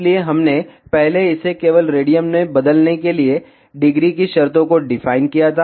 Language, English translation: Hindi, So, we defined earlier it terms of ah degree just to convert it in radian